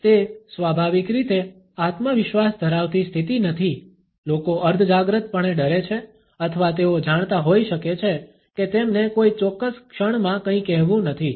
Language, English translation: Gujarati, It is not a naturally confident position people may feel subconsciously threatened or they might be aware that they do not have any say in a given moment